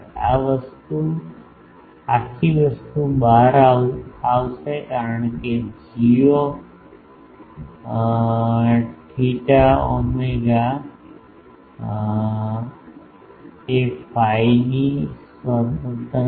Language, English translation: Gujarati, This whole thing will come out because, g theta phi is independent of phi